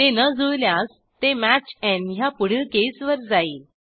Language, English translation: Marathi, If it does not match, it moves on to the next case which is match n